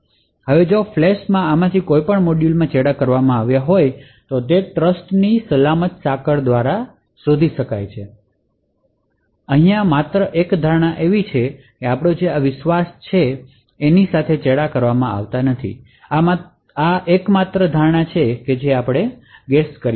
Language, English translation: Gujarati, Now if any of this modules are tampered with in the flash this can be detected by the secure chain of trust the only assumption that we make is that this root of trust cannot be tampered with that is the only assumption that we make